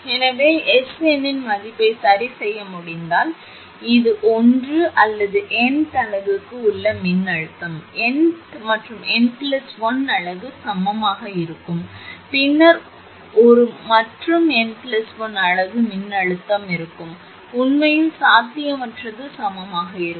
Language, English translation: Tamil, So, it is seen that if the value of the S n can be adjusted then this one or the voltage across the n th unit would be equal n th and n th n plus 1 unit would be equal then be a n and n th plus 1 unit voltage will be equal which is not possible actually